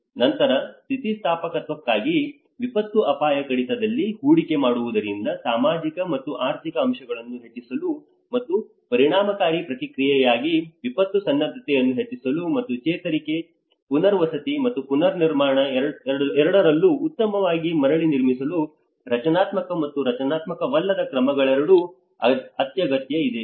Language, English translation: Kannada, Then investing in disaster risk reduction for resilience so this is where both the structural and non structural measures are essential to enhance the social and economic aspects and enhance disaster preparedness for effective response and to build back better into both recovery, rehabilitation and reconstruction